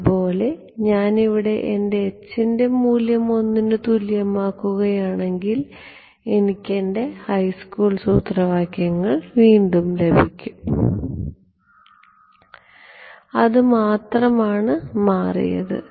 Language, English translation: Malayalam, Similarly, if I make my h is over here equal to 1, I get back my high school formulas, that is the only thing that has changed